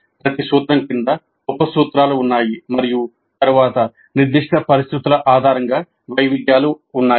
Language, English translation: Telugu, Because under each principle there are sub principles and then there are variations based on the specific situations